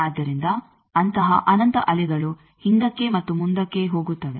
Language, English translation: Kannada, So, there is an infinite such waves going back and forth